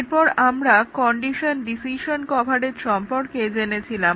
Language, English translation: Bengali, And then, we had also looked at condition decision coverage